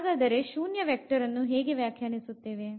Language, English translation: Kannada, So, what how do we define the zero vector